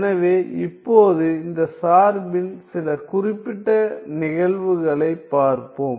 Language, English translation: Tamil, So, now let us look at some particular cases of this function